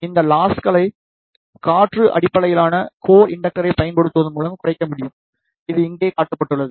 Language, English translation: Tamil, These losses can be reduced by using a air core based inductor, which is shown over here